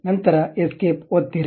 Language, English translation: Kannada, Then press escape